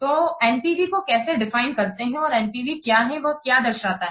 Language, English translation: Hindi, So, how we will define or what this NPV what does it represent